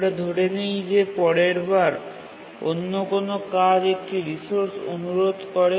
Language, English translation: Bengali, And let's say next time another task requests a resource